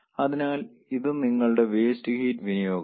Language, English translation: Malayalam, so this is your waste heat